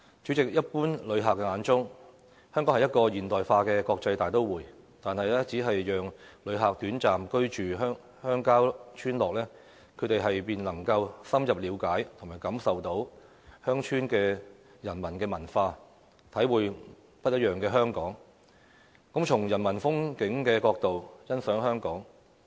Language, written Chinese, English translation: Cantonese, 主席，一般旅客眼中，香港是一個現代化的國際大都會，但只要讓旅客短暫居住鄉郊村落，他們便能夠深入了解和感受鄉村的人文文化，體會不一樣的香港，從人文風景角度欣賞香港。, President in the eyes of general visitors Hong Kong is a modern and international metropolis but if visitors are allowed to have a short stay in rural villages they will be able to have an in - depth understanding of the humanistic culture of the villages and experience a different Hong Kong . They will appreciate Hong Kong from a humanistic perspective